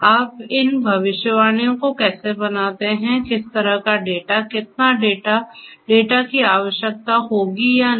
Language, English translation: Hindi, How you make these predictions; what kind of data how much of data; whether data will at all be required or not